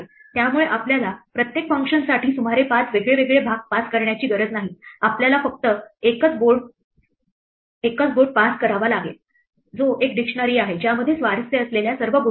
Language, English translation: Marathi, So, we do not have to pass around 5 different parts to each function we just have to pass a single board which is a dictionary which contains everything of interest